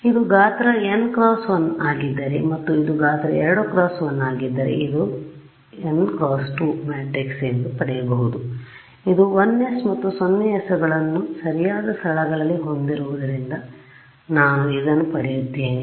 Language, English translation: Kannada, Right if this is size n cross 1 and this is size 2 cross 1 I can get this to be an n cross 2 matrix which is this have 1s and 0s in the right places